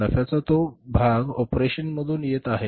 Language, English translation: Marathi, That part of the profit which is coming from the operations